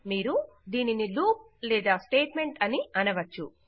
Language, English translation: Telugu, You can choose to call it a loop or a statement